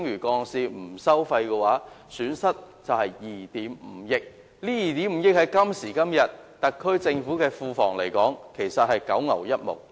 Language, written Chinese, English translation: Cantonese, 今時今日 ，2 億 5,000 萬元對特區政府的庫房只是九牛一毛。, In todays prices 250 million is only a drop in the ocean to the Treasury of the SAR Government